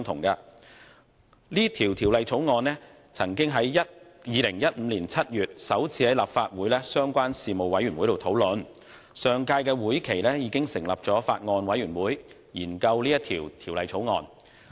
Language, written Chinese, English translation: Cantonese, 該《條例草案》曾於2015年7月首次在立法會的相關事務委員會會議上討論，而相關的法案委員會亦已在上屆會期成立。, The latter bill was first discussed in the relevant panel of the Legislative Council in July 2015 and a Bills Committee was formed in the last legislative session from its scrutiny